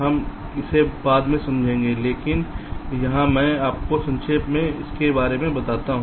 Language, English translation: Hindi, we shall explain it later, but here let me just briefly tell you about ah